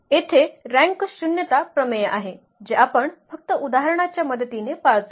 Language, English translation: Marathi, There is a rank nullity theorem which we will just observe with the help of the example